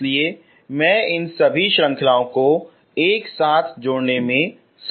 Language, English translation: Hindi, So that is why I am able to add all these series together